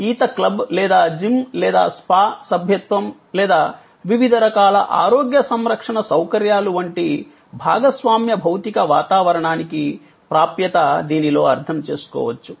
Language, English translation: Telugu, And access to share physical environment, this is like membership of a swimming club or gym or spa or various kinds of health care facilities can be understood in this